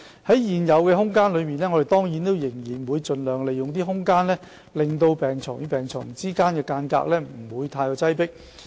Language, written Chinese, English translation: Cantonese, 在現有的空間限制下，我們當然仍然會盡量令病床與病床之間的距離不會太擠迫。, Given the existing space we will definitely strive to maintain the distance between beds and avoid excessive overcrowding